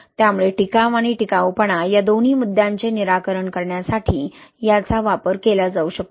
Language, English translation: Marathi, So it can be used to address both issues sustainability and durability